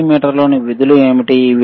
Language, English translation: Telugu, What are the functions within the multimeter